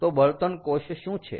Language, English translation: Gujarati, so what is the fuel cell